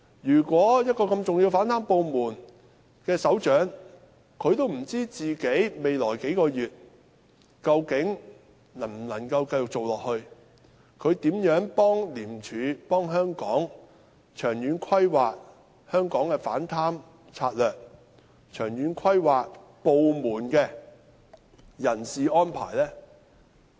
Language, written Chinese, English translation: Cantonese, 如果連這麼重要的反貪部門的首長也不知道自己未來數月究竟能否繼續出任這職位，他如何協助廉政專員長遠規劃香港的反貪策略和部門的人事安排？, the Operations Department of ICAC . If even the head of such an important anti - corruption department has no idea whether he can actually continue to hold this post in the coming few months how can he help the ICAC Commissioner make any long - term planning on Hong Kongs anti - corruption strategy and staffing arrangements of the department?